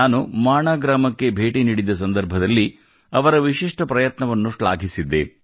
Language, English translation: Kannada, During my visit to Mana village, I had appreciated his unique effort